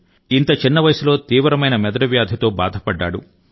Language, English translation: Telugu, Kelansang suffered from severe brain disease at such a tender age